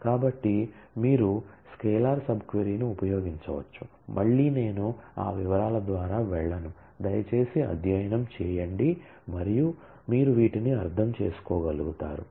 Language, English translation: Telugu, So, you can use a scalar sub query, again I would not go through that details please study and you will be able to understand